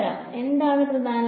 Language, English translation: Malayalam, What is the main objective